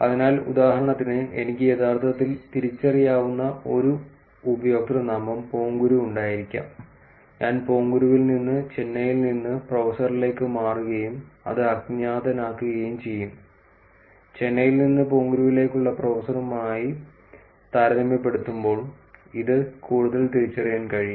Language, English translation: Malayalam, So, for example, I could actually have a username Ponguru, which is probably identifiable and I move from Ponguru to professor from Chennai and that would make it anonymous, compared to professor from Chennai to Ponguru which will make it more identifiable